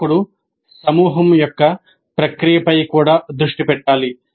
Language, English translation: Telugu, Instructor must also focus on the process of group itself